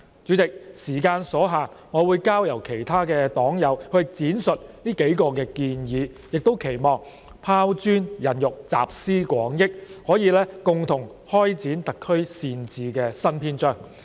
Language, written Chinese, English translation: Cantonese, 主席，發言時間所限，我會交由其他黨友闡述這議案中的數項建議，期望拋磚引玉，集思廣益，可以共同開展特區善治的新篇章。, President due to the time constraint I will let my colleagues in my Party to elaborate on other suggestions put forward in this motion . I hope my humble remarks will attract valuable opinions pool wisdom for mutual benefit and jointly turn a new page for the benevolent policies of the SAR